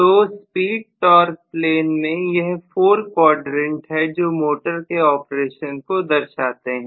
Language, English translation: Hindi, So these are the four quadrants of operation in speed torque plane, right